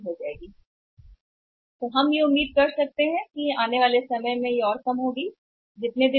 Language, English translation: Hindi, So, we can expect that in the time to come it may further go down